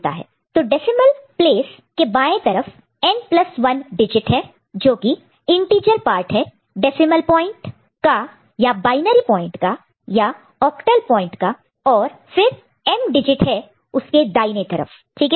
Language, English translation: Hindi, So, the there are n plus 1 digit to the left of the decimal place, and that is the integer part the decimal point or binary point or octal point, and then m digit towards right ok